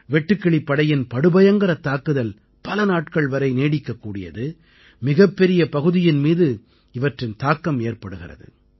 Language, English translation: Tamil, The locust attack lasts for several days and affects a large area